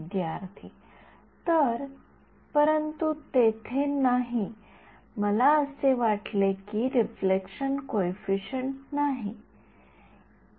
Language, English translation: Marathi, So, but there is no, I think there is no reflected coefficient